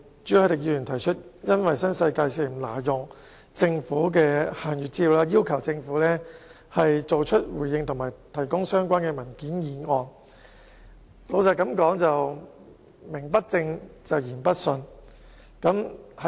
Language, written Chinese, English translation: Cantonese, 朱凱廸議員以新世界挪用政府限閱資料，要求政府作出回應及提供相關文件為理由，提出今天這項議案。, Mr CHU has proposed this motion today requesting the Government to give a response and provide relevant papers on the ground of the illegal use of restricted information by the New World Development Company Limited NWD